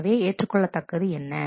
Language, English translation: Tamil, So, that is not what is what is acceptable